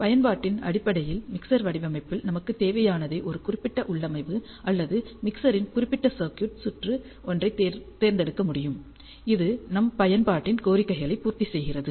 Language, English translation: Tamil, And based on our application what we require in the mixer design, we can select a particular configuration or particular circuit of a mixer which, caters the demands of our application